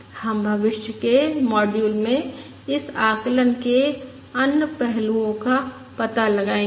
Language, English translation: Hindi, We will explore other expects of this estimate um in the future module